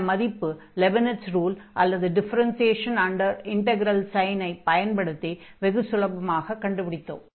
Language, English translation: Tamil, So, we got this value here by using this Leibnitz rule or the differentiation under integral sign very quite easily